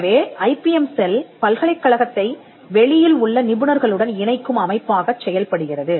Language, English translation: Tamil, So, the IPM cell acts as the body that connects the university to the professionals outside